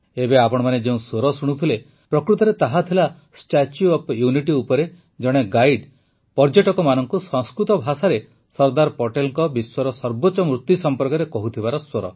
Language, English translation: Odia, Actually, what you were listening to now is a guide at the Statue of Unity, informing people in Sanskrit about the tallest statue of Sardar Patel in the world